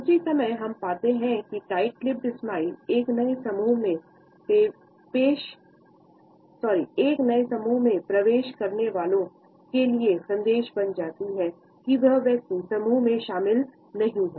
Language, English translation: Hindi, At the same time we find that the tight lipped smile also becomes a message to a new entrant in the group to suggest that the person is not included